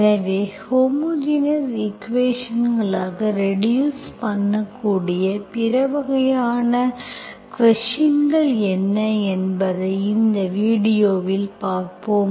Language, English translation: Tamil, So in this video we will see what are the other kinds of the questions that can be reduced to homogeneous equations